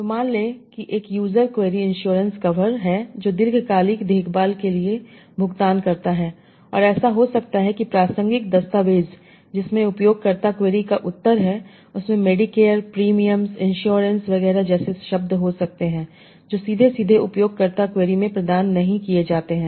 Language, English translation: Hindi, So suppose there is a user query, insurance cover which pays for long term care and it might happen to the relevant document that contains the answer to the user query may have words like Medicare, premiums, insurers, etc